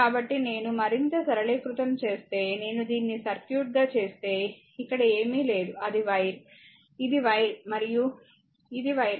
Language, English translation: Telugu, If I make it like this this circuit, because here nothing is there it is ah it is an wire, it is a wire and it is a wire